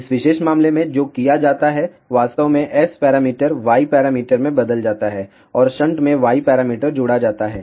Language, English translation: Hindi, In this particular case what is done, actually S parameters are converted into Y parameter, and Y parameters in shunt get added up